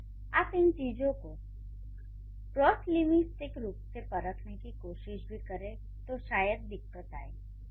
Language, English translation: Hindi, So, if you try to test these things cross linguistically, it could be a problem